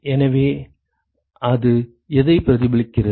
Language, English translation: Tamil, So, what does it reflect